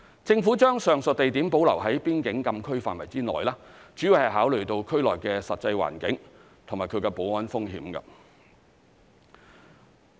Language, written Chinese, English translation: Cantonese, 政府將上述地點保留在邊境禁區範圍內，主要是考慮到區內的實際環境及其保安風險。, The major considerations of the Government in keeping these places within the frontier closed area are the actual situation in the region and its security risks